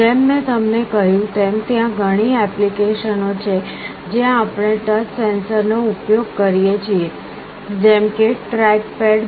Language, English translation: Gujarati, As I told you there are many applications where we use touch sensors; like track pads